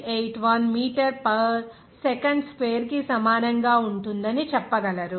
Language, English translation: Telugu, 81 meter per second square